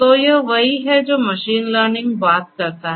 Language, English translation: Hindi, So, let us talk about machine learning